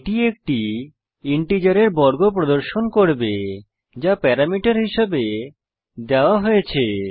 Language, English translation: Bengali, That will display a square of an integer which is given as a parameter